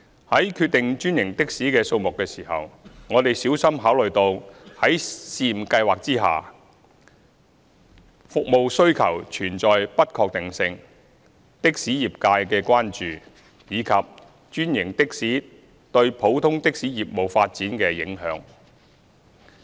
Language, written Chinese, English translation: Cantonese, 在決定專營的士的數目時，我們小心考慮到在試驗計劃下服務需求存在不確定性、的士業界的關注，以及專營的士對普通的士業務發展的影響。, In determining the number of franchised taxis we have carefully considered the uncertainties of the service demand under the trial scheme concerns of the taxi trade and the impact of franchised taxis on the business development of ordinary taxis